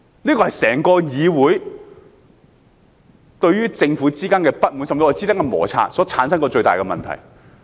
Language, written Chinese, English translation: Cantonese, 這是導致整個議會對政府不滿、甚至與其產生摩擦的最大問題。, This is the biggest problem that has led to the entire Councils discontent and even friction with the Government